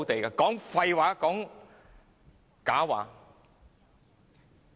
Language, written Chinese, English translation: Cantonese, 說的盡是廢話、假話。, Hers are all nonsense and lies